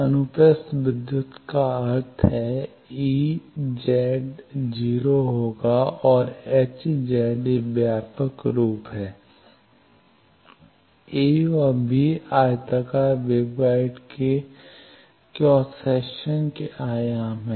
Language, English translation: Hindi, Transverse electric means, ez is equal to and hz this is the generic form a and b are the dimensions of the cross section of the rectangular waveguide